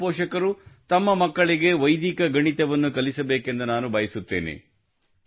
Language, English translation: Kannada, I would like all parents to teach Vedic maths to their children